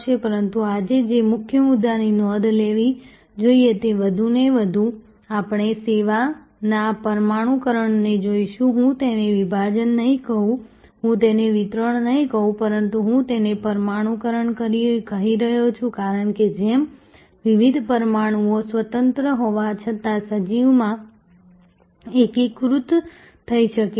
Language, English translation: Gujarati, But, the key point that one should note today, that more and more we will see this molecularization of services I would not call it fragmentation I would not call it distribution, but I am calling it molecularization, because just as different molecules can be independent yet integrated into an organism